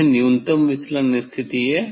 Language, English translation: Hindi, that is why it is a minimum deviation position